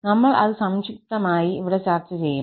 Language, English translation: Malayalam, We will discuss it in brief here